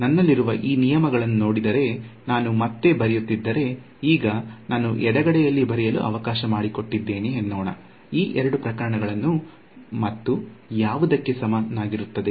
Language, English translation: Kannada, If I just rewrite if I look at this these terms that I have so I have let me write on the left hand side now; so these are the two cases and is equal to what